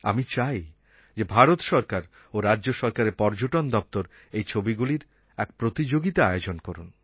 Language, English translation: Bengali, I would like the Tourism Department of the Government of India and the State Government to hold a photo competition on this occasion